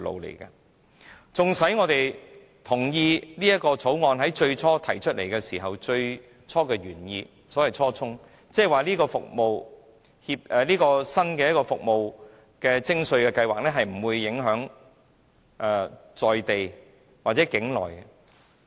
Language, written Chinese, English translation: Cantonese, 所以，縱使我們同意《條例草案》提出的原意，即這個新的服務徵稅計劃，而且當時是不會影響在地或境內的飛機租賃活動。, Hence we agree with the original intent of the Bill ie . the new tax assessment regime which will not affect local or onshore aircraft leasing activities . But the Bill is now different